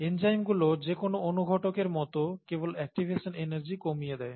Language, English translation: Bengali, The enzymes just bring down the activation energy as any catalyst does